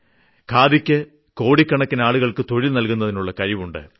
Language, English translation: Malayalam, Khadi has the potential to provide employment to millions